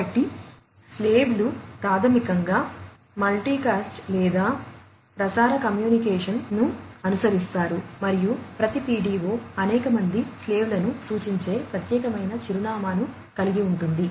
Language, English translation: Telugu, So, the slaves basically will follow multicast or, broadcast communication and every PDO contains a distinct address denoting the several slaves